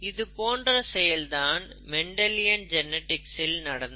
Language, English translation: Tamil, And something like this, you know, we will be looking at Mendelian genetics